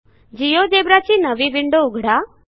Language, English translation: Marathi, Lets open a new GeoGebra window